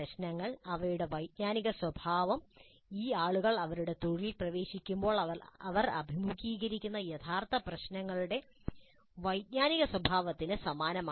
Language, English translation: Malayalam, The problems, their cognitive nature is quite similar to the cognitive nature of the actual problems that these people will face when they enter their profession